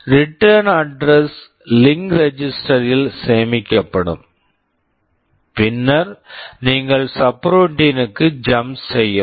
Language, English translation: Tamil, The return address will be saved into the link register, and then you jump to the subroutine